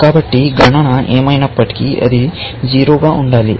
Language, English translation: Telugu, So, the number must be equal to 0